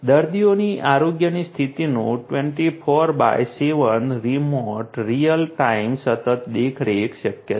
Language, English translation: Gujarati, Remote real time continuous monitoring of patients health condition 24x7 is possible